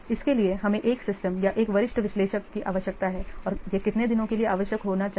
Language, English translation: Hindi, This is we require one system or one senior analyst and that should be required for almond days